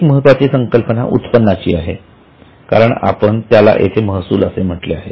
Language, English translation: Marathi, One important concept is income because there we had said revenue